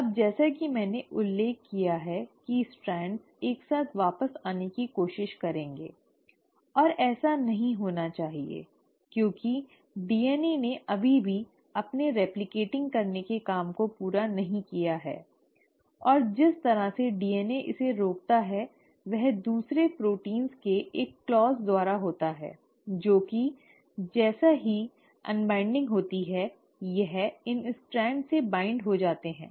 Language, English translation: Hindi, Now as I mentioned the strands will try to come back together and that should not happen because the DNA has still not finished its job of replicating it and the way DNA prevents this is by a clause of another proteins which as soon as the unwinding has happened bind to these strands